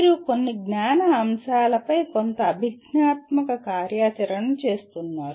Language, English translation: Telugu, You are doing performing some cognitive activity on some knowledge elements